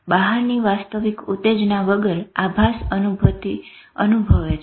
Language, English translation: Gujarati, Hallucinations is feeling a perception without the real stimulus outside